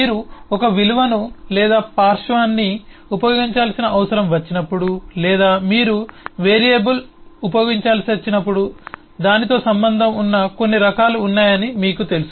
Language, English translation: Telugu, You would know that, eh, whenever you need to use a value or a lateral, or whenever you need to use a variable, there are certain types associated with it